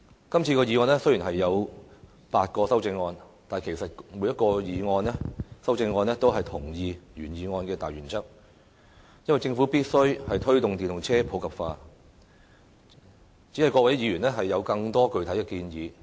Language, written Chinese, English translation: Cantonese, 雖然今次的議案有8項修正案，但各項修正案也同意原議案的大原則，認為政府必須推動電動車普及化，只是各位議員有更多具體的建議。, Although eight Members have moved amendments to the motion all of them agree on the major principle of the motion namely that the Government must promote the popularization of EVs with more concrete proposals put forward